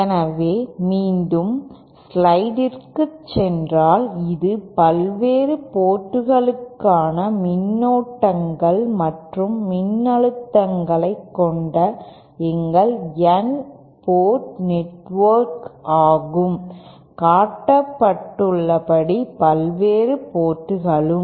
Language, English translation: Tamil, So once again if we can go back to the slide this is our N port network with currents and voltages for the various ports as shown